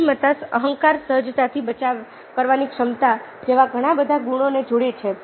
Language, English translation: Gujarati, so intelligence, ah, combines a lot of qualities like ego, ability to defend cogently